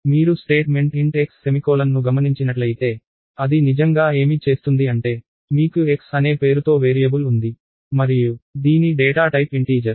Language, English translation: Telugu, So, if you look at the statement int x semicolon, what it really does is you have a variable by name x and it is of data type integer